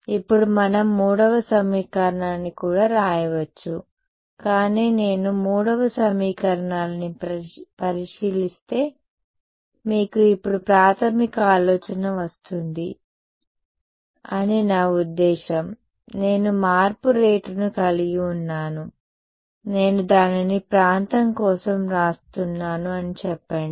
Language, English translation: Telugu, Now we could also write the third equation, but I mean you will got the basic idea for now if I look at the third equation I have rate of change let us say I am writing it for the region s